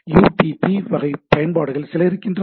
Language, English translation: Tamil, There are few applications which are UDP